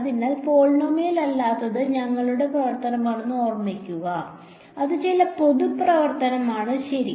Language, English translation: Malayalam, So, remember our function is f of x which is not polynomial; it is some general function ok